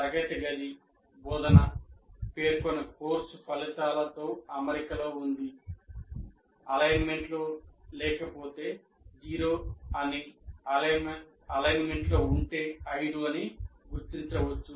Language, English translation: Telugu, So the classroom instruction is in alignment with the stated course outcomes, not alignment at all, zero, complete alignment is five